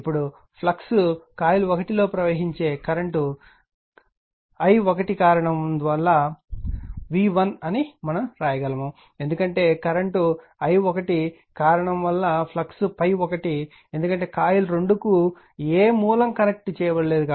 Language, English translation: Telugu, Now, again as the fluxes are cause by the current i1 flowing in coil 1, we can write for v 1 we can write because flux phi 1 is cause by your current i1 because,your coil 2 no current source is connected